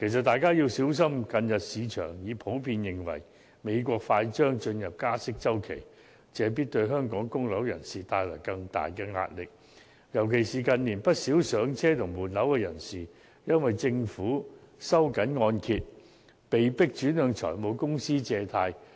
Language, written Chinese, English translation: Cantonese, 大家要小心，近日市場普遍認為美國快將進入加息周期，這必然會對香港的供樓人士帶來更大壓力，尤其是近年不少上車及換樓人士已因政府收緊按揭，被迫轉向財務公司借貸。, Recently the market generally expects that the United States will soon enter the interest hike cycle which will definitely impose greater pressure on local home mortgagors . As many first - time home buyers and people who changed flats in recent years were forced to obtain loans from finance companies after the Government tightened the mortgage lending policy they are particularly affected